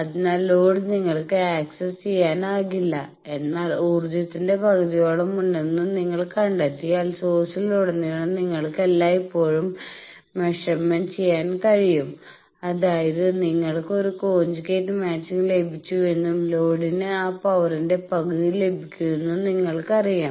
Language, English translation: Malayalam, So, load is not accessible to you, but you can always make a measurement at your source that across the source resistance if you find that half of the power is there; that means, you know that you have got a conjugate match and load is getting half of that power